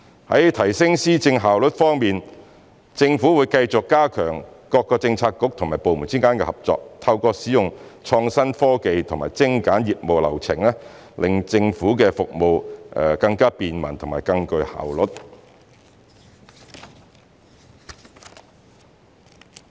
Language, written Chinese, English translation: Cantonese, 在提升施政效率方面，政府會繼續加強各政策局及部門之間的合作，透過使用創新科技及精簡業務流程，令政府的服務更便民和更具效率。, In respect of enhancing the efficiency of policy implementation the Government will keep strengthening the collaboration across bureaux and departments and make government services more convenient and efficient by applying innovative technology and streamlining operation processes